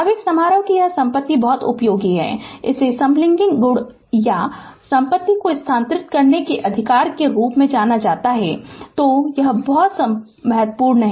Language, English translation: Hindi, This property of the impulse function is very useful and known as the sampling property or sifting property right; so, this is this is very important